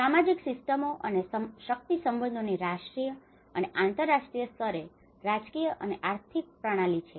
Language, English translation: Gujarati, The social systems and the power relationships and the political and economic systems at the national and international scale